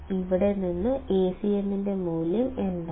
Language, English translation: Malayalam, From here what is the value of Acm